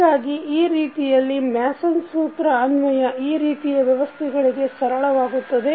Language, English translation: Kannada, So, in this way the application of Mason’s rule is easier for those kind of systems